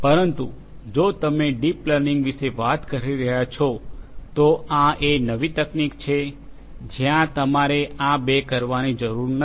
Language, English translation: Gujarati, But you know if you are talking about deep learning, this is a newer technique where you do not have to do these two